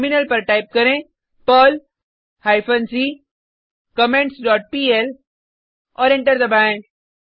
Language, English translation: Hindi, On the Terminal, type perl hyphen c comments dot pl and press Enter